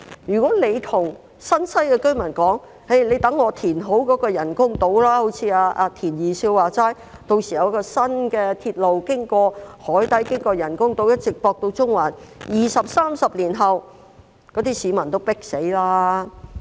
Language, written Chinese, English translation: Cantonese, 如果局長告訴新界西居民，待政府填好人工島後，正如"田二少"所說，屆時將會有新的鐵路經過海底，再經過人工島，一直接駁到中環，但二三十年後，那些市民已經"迫死"了。, If the Secretary will tell residents in New Territories West that when the artificial islands are built after completion of the reclamation works as mentioned by Mr Michael TIEN there will be a new railway crossing the harbour to connect Central via the artificial islands but two to three decades down the line the residents would have been crammed to death